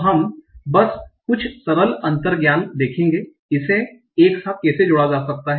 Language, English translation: Hindi, So we'll just see some simple intuitions on how this can be combined together